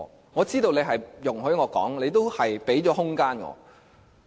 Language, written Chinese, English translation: Cantonese, 我知道你是容許我說話，亦給予我空間。, I know you would allow me to speak and give me the room for doing so